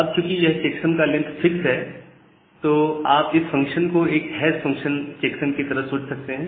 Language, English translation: Hindi, Now, because the checksum is of fixed length, you can think of this function as a hash function